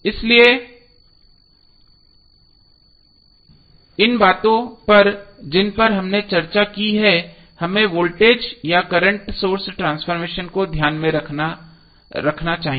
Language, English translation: Hindi, So these things which we have discuss we should keep in mind while we do the voltage or current source transformation